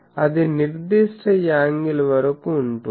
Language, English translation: Telugu, So, up to certain angle it is there